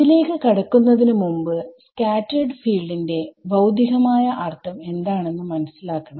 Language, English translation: Malayalam, Before we go into this, physically what does the scattered field mean; it is a field that is produced